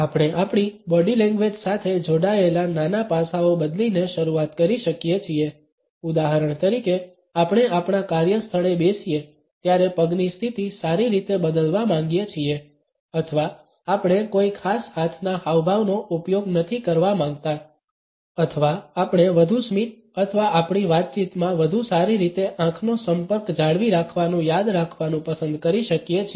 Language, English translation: Gujarati, We can start by changing a smaller aspects related with our body language for example, we may want to change the position of legs well while we sit in our workplace or we want not to use a particular hand gesture or we may like to remember to have more smiles or maintain a better eye contact in our conversation